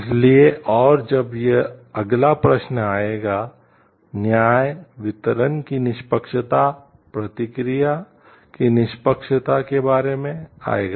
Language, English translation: Hindi, So, and when this comes in next question will come about the justice, fairness of distribution fairness of process